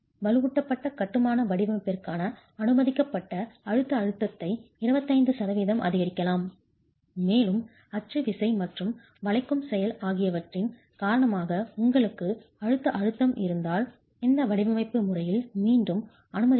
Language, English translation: Tamil, You could increase the permissible compressive stress for unreinforced masonry design by 25 percent and that is again permitted in this design where if you have compressive stress due to a combination of axial force and bending action then you can increase the permissible stress in compression F